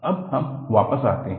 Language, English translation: Hindi, Now, let us come back